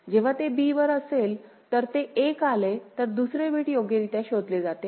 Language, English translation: Marathi, When it is at b if it receives 1 then second bit is correctly detected